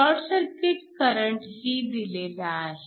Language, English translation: Marathi, So, this is the short circuit current